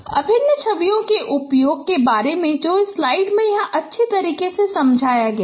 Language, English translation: Hindi, About the use of integral images that is also explained nicely here in this slide